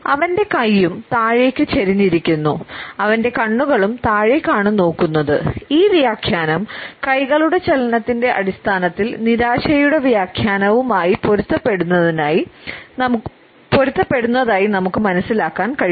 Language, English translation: Malayalam, His hand is also tilted downwards and his eyes are also downcast and this interpretation is consistent with the interpretation of frustration which we can understand on the basis of the clenched hands